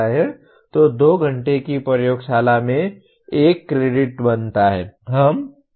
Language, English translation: Hindi, So 2 hours of laboratory constitutes 1 credit